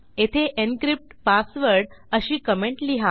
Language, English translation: Marathi, Here comment this as encrypt password